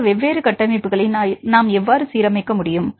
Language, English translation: Tamil, So, we how can align these different structures